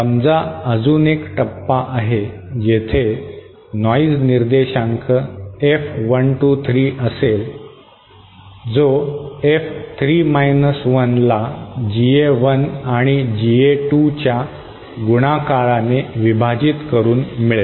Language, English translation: Marathi, Suppose there was another stage with a noise figure S3 and GA3 then the value of the total noise figure that is F123 would be F3 1 upon GA1 multiplied by GA2